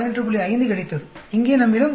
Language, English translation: Tamil, 5 from the table and here we have 96